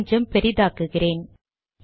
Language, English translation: Tamil, Let me also make it slightly bigger